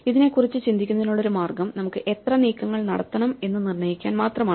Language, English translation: Malayalam, So, one way of thinking about this is just to determine, how many moves we have to make